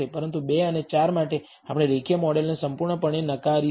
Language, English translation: Gujarati, But for 2 and 4 we will completely reject the linear model